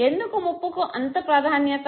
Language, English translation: Telugu, Now why is threat given so much of importance